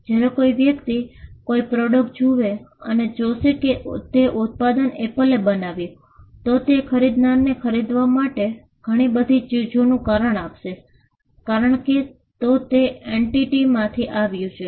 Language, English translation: Gujarati, When a person looks at a product and sees that Apple has created or designed that product then, the buyer would attribute so many things because, it has come from that entity